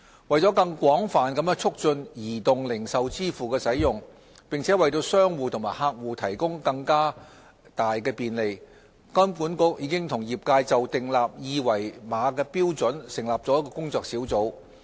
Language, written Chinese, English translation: Cantonese, 為了更廣泛地促進移動零售支付的使用，並為商戶和客戶提供更大便利，金管局已與業界就訂立二維碼標準成立了工作小組。, To promote wider adoption of mobile retail payments as well as provide greater convenience to both merchants and customers HKMA and the industry have established a working group on common QR code standard for retail payments